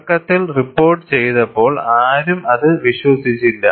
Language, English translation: Malayalam, When initially reported, nobody believed it